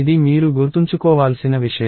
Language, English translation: Telugu, This is something that you have to remember